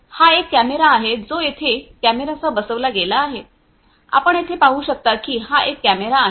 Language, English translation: Marathi, This is a camera this is fitted with a camera, you know over here as you can see this is a camera